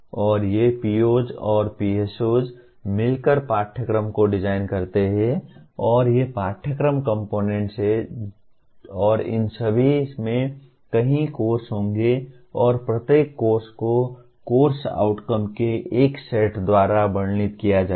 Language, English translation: Hindi, And these POs and PSOs together design the curriculum and these are the curriculum components and all of them will have or will have several courses and each course is described by a set of course outcomes